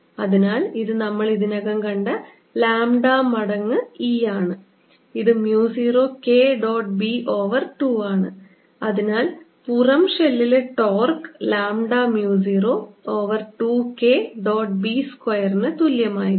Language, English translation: Malayalam, e, which we have already seen, is equal to mu zero, k dot b over two, and therefore torque on the outer shell is going to be lambda mu zero over two k dot b square